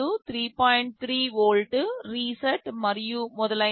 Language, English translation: Telugu, 3 volt, reset and so on